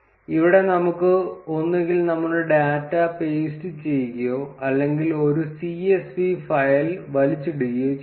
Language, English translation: Malayalam, Here we can either paste our data or drag and drop a csv file